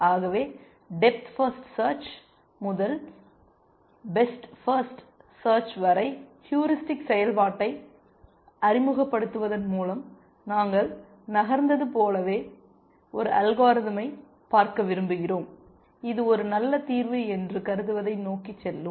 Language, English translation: Tamil, So, just as we moved from death first search to best first search by introducing heuristic function, we want to look at an algorithm which will go towards what it thinks is a good solution essentially